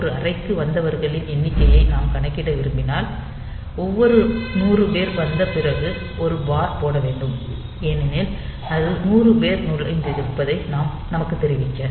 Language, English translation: Tamil, So, if we want to count the number of people that have arrived in a room, and if we put a bar that after every 100 people that have come, we need to be notified that 100 people have entered